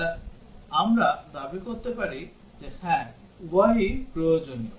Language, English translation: Bengali, Then we can claim that yes, both are necessary